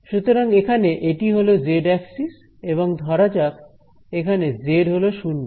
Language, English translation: Bengali, So, if this is the z axis over here then and let say this is z equal to 0